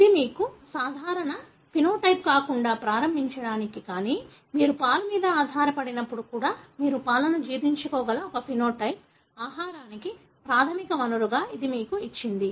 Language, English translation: Telugu, It has given you, to begin with that is not normal phenotype, but a phenotype wherein you are able to digest milk even when you are not dependent on the milk for, as a, the primary source of food